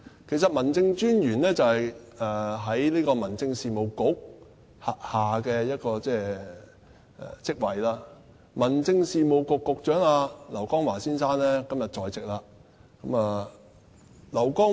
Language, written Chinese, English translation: Cantonese, 其實，民政事務專員是民政事務局轄下的職位，而民政事務局局長劉江華先生今天也在席。, In fact District Officers are posts created under the Home Affairs Bureau . The Secretary for Home Affairs Mr LAU Kong - wah is present today too